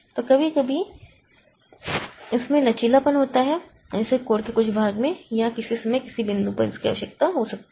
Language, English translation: Hindi, So, sometimes it has the flexibility like some part of the code may or may not be needed at some point of time